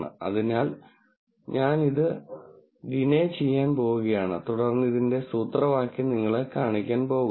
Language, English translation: Malayalam, So, I am just going to de ne this and then going to show you the formula for this